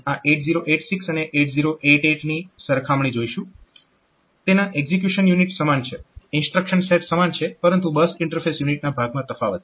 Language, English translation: Gujarati, So, we will look into this 8086 and 8088 comparison, the execution unit is similar instruction set are similar, but the bus interface unit part that is there is different, there are differences